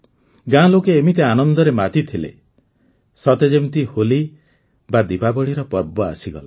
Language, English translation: Odia, The people of the village were rejoicing as if it were the HoliDiwali festival